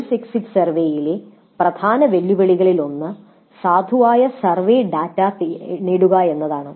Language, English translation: Malayalam, Now one of the key challenges with the course exit survey would be getting valid survey data